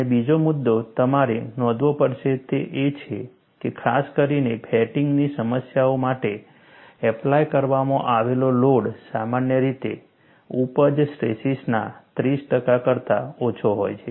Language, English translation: Gujarati, And another point that you will have to note is, notably, for fatigue problems, the applied loads are generally less than 30 percent of the yield stress